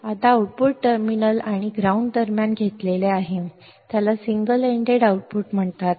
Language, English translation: Marathi, Now, the output is taken between the output terminal and ground is called single ended output